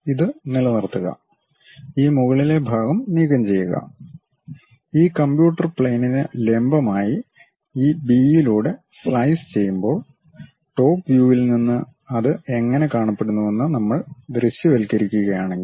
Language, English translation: Malayalam, So, retain this, remove this top portion; when we slice it passing through this B, normal to this computer plane, so from top view if we are visualizing how it looks like